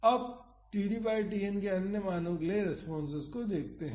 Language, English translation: Hindi, Now, let us see the responses for other values of td by Tn